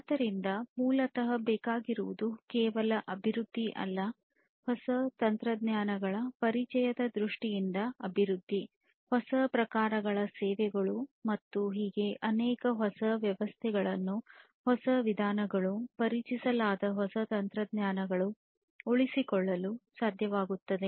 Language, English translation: Kannada, So, basically what is required is not just the development, development in terms of introduction of new technologies, new types of services, and so on, but what is also required is to be able to sustain the newer systems, newer methodologies, newer techniques that are introduced